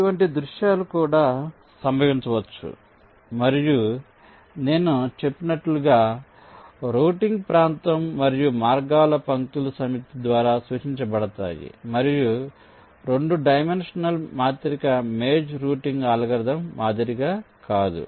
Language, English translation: Telugu, such scenarios can also occur and, as i had said, the routing area and also paths are represented by the set of lines and not as a two dimensional matrix as in the maze routing algorithms